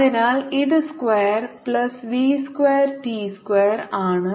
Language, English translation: Malayalam, so this distance will be square root, s square plus v square t square